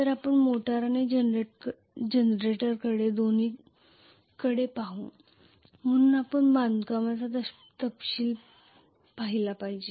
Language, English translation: Marathi, So we will look at both motor and generator, so we should look at the constructional details